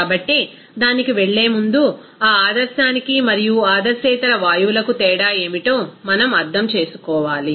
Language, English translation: Telugu, So, before going to that, we have to understand that what is the difference of that ideal and the non ideal gases